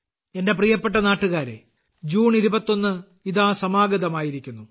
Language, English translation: Malayalam, My dear countrymen, 21st June is also round the corner